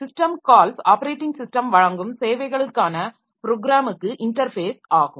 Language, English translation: Tamil, So, system calls are programming interface to the services provided by the operating system